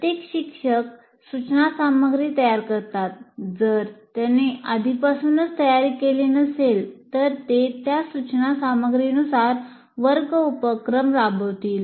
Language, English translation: Marathi, Now, every instructor prepares instruction material if he is already prepared, he will be conducting the classroom activities according to that instruction material